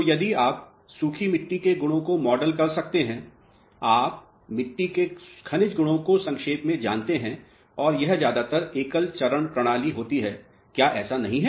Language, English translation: Hindi, So, if you can model the properties of dry soils you know the mineralogical properties in short and this happens to be a single phase system mostly is it not